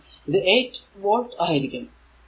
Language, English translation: Malayalam, So, it will be v is equal to 8 volt